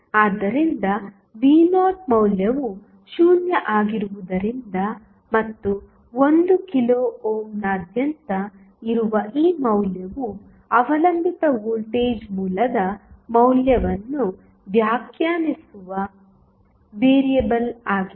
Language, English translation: Kannada, So, since V naught value is 0 and this value V naught which is across 1 kilo ohm is the variable which defines the value of dependent voltage source